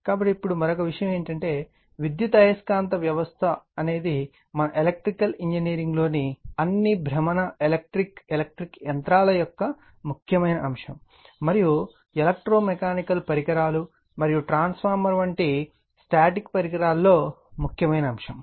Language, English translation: Telugu, So that is your now and another thing is the electromagnetic system is an essential element of all rotating electrical electric machines in our electrical engineering we see, and electro mechanical devices as well as static devices like transformer right